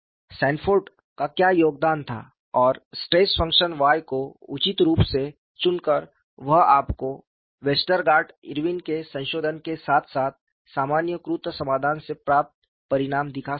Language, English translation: Hindi, And what was the contribution by Sanford was, by selecting appropriately the stress function Y, he could show the results that you get from Westergaard, Irwin’s modification as well as generalized solution